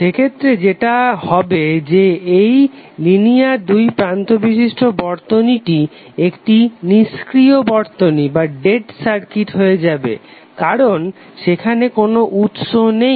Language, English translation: Bengali, So in that case what will happen that this linear two terminal circuit would be nothing but a dead circuit because there is no source available